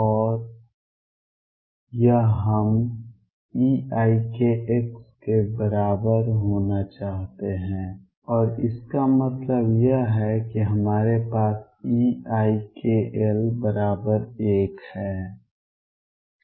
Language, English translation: Hindi, And this we want to be equal to e raise to i k x, and what this means is that we have e raise to i k L equals 1